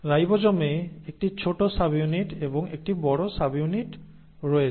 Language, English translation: Bengali, Ribosome has a small subunit and a large subunit